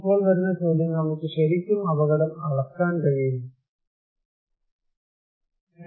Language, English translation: Malayalam, Now, the question comes, can we really measure risk, can risk be measured